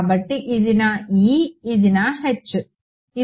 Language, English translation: Telugu, So, this is my E this is my H ok